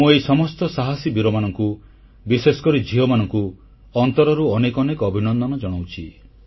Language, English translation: Odia, I congratulate these daredevils, especially the daughters from the core of my heart